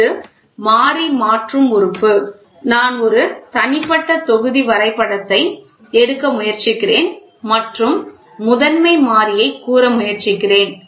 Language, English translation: Tamil, The Variable Conversion Element so, I am trying to take an individual block diagram and am trying to tell primary variable